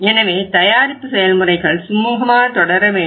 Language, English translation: Tamil, So it means the production process should be smoothly going on